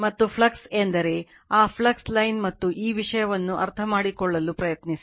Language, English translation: Kannada, And flux means just try to understand that your flux line and this thing right